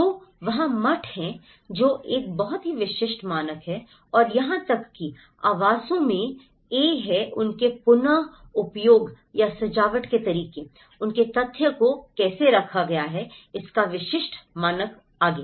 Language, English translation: Hindi, So, there is the monasteries which have a very typical standard and even the dwellings have a typical standard of how they are reused or decorated, how their factious have been put forward